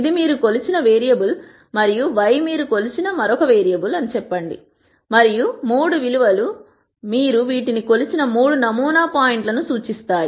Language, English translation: Telugu, Let us say this is some variable that you have measured and Y is some other variable you have measured and the 3 values could represent the 3 sampling points at which you measured these